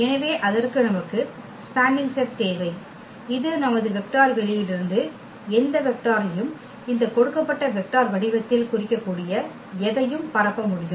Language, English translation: Tamil, So, for that we need spanning set basically that can span any that can represent any vector from our vector space in the form of this given vector